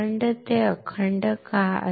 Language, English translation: Marathi, Why it will be intact